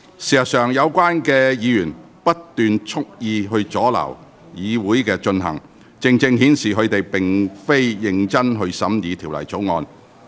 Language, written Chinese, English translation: Cantonese, 事實上，有關議員不斷蓄意阻撓會議進行，正正顯示他們並非認真審議《條例草案》。, In fact constant and deliberate obstructions of the meeting by those Members precisely show that they do not scrutinize the Bill in a serious manner